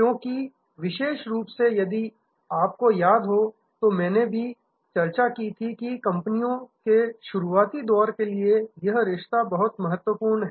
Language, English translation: Hindi, Because, particularly if you remember I had also discussed that the relationship is very important for companies at the early stage